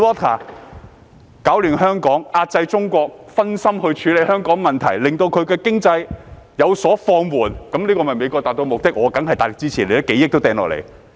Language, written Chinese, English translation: Cantonese, 他們攪亂香港，壓制中國，令中國因分心處理香港的問題以致經濟有所放緩，這樣美國便可達致其目的。, They stirred up turmoil in Hong Kong and suppressed China hoping that the problems of Hong Kong would distract the Chinese Government and caused a slowdown in its economy . In that case US could achieve its objectives